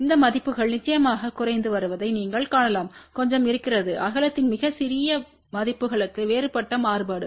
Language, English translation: Tamil, You can see that these values are decreasing of course, there is a little bit of a different variation for very small values of width